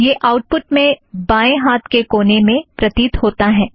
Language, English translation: Hindi, It appears in the top left hand corner of the output